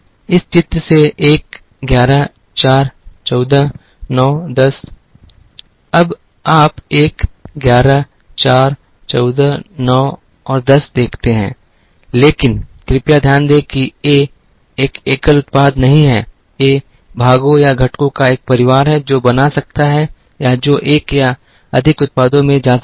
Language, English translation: Hindi, From this picture,1 11, 4 14, 9 10, now you see 1 11 4 14 9 and 10, but please note that, A is not a single product, A is a family of parts or components that can make or that can go into one or more products